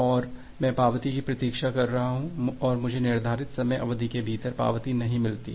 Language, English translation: Hindi, And I am keep on waiting for the acknowledgement and I do not get the acknowledgement within that timeout duration